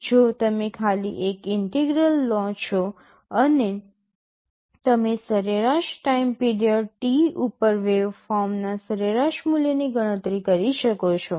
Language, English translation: Gujarati, If you simply take an integral and take the average you can compute the average value of the waveform over the time period T